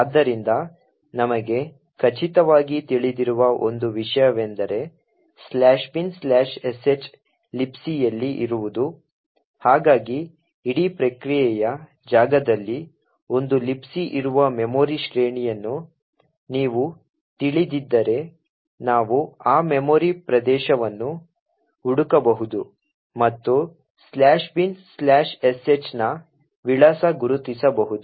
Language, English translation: Kannada, So, one thing what we know for sure is that /bin/sh is present in the libc, so if you know the memory range where a libc is present in the entire process space, we could search that memory area and identify the address of /bin/sh